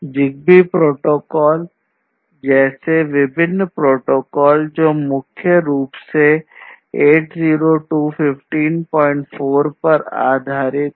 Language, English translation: Hindi, Now, there are different protocols like the ZigBee protocol which is used which is primarily based on 802